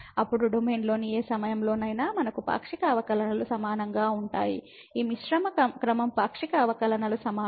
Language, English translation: Telugu, Then at any point in the domain we have the partial derivatives equal; this mixed order partial derivatives equal